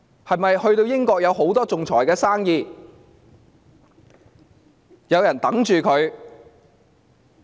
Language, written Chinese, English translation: Cantonese, 是否英國有很多仲裁生意和案件等着她？, Was it because there were lots of arbitration business and cases waiting for her?